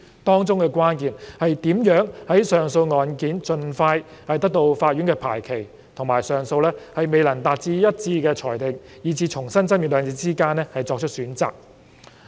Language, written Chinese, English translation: Cantonese, 當中的關鍵是如何在令上訴案件盡快得到法院的排期，以及上訴未能達到一致的裁定以致須重新爭辯兩者之間作出取捨。, The crux of the matter is how to strike a balance between scheduling an appeal hearing at a court as soon as possible and re - arguing the case when a unanimous decision cannot be reached